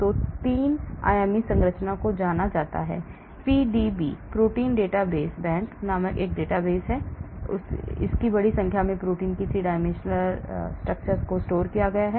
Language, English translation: Hindi, 3 dimensional structure is known, there is database called PDB, protein data bank, it contains 3 dimensional structure of large number of proteins